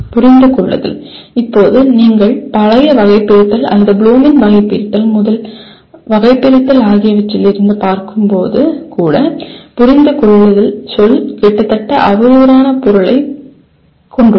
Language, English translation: Tamil, Understand, now there is also when you look from the old taxonomy or Bloom’s taxonomy, the first taxonomy, understand is a word is almost has a derogatory meaning